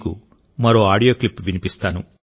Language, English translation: Telugu, Let me play to you one more audio clip